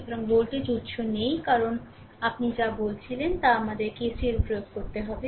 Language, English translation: Bengali, So, voltage source is not there because we have to apply your what you call that your KCL